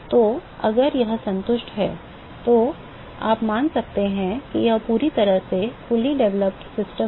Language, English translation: Hindi, So, that is if this is satisfied, then you can assume that it is a fully developed system